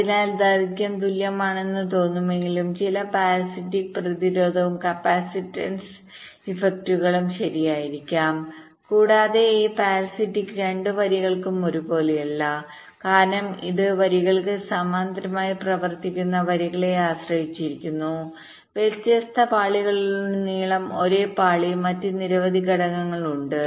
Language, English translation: Malayalam, so, although it looks like the lengths are equal, but there can be some parasitic, resistance and capacitance effects, right, and these parastics may not be the same for both the lines because it depends on the lines which are running parallel to those lines on the same layer across different layers